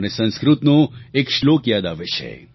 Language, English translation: Gujarati, I am reminded of one Sanskrit Shloka